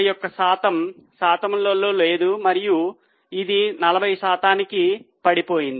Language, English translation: Telugu, 51, 51 percent as a percentage and it has gone down to 40%